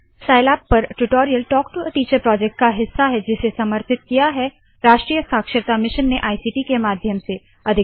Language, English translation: Hindi, Spoken Tutorials are part of the Talk to a Teacher project, supported by the National Mission on Education through ICT